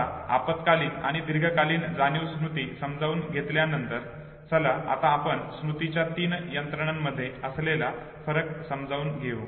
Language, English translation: Marathi, Having now understood since very short term and long term memory, let us once try to compare between these three systems of memory